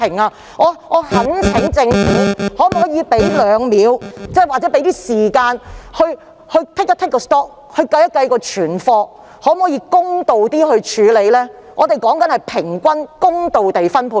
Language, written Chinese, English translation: Cantonese, 我懇請政府花2秒或一些時間盤點保護裝備的庫存量，然後公道地處理，我所指的是平均公道的分配。, I beg the Government to spend a few seconds or a little time to do a stocktake of PPE and make a fair deal I mean a fair distribution